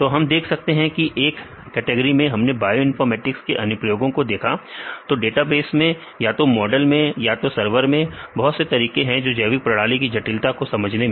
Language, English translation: Hindi, So, various aspects we can say in each category we seen the applications of bioinformatics either in the databases or they models or servers rights in different ways, understanding this complexities of this biological systems